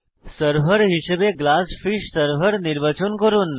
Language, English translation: Bengali, Select GlassFish server as the Server